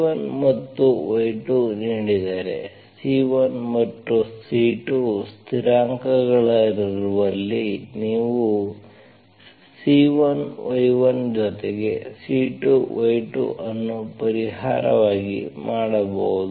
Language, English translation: Kannada, If y1 and y2 are given, you can make C1 y1 plus C2 y2 as solution where C1 and C2 are constants